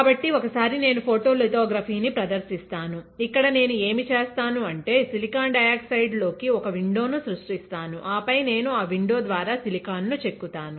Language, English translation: Telugu, So, once I perform photolithography; what I will do here, is at I will create a window into silicon dioxide and then I will etch the silicon through that window